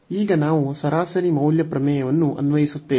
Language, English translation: Kannada, And now we will apply the mean value theorem